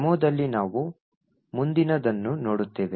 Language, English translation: Kannada, In the demo that we will look at next